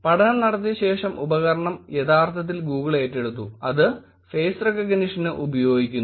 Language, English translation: Malayalam, Well, after the study was done the tool was actually acquired by Google it is doing face detection and face recognition